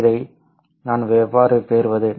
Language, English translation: Tamil, How can I obtain this